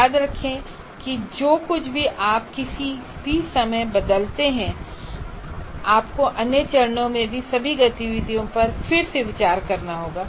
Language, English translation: Hindi, So remember that anything that you change at any point, you will have to take a re look at all the activities in other phases